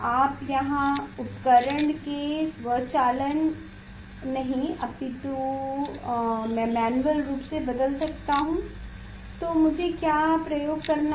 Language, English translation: Hindi, you forget automation of the instrument here manually I can change the what I have to do the what is the experiment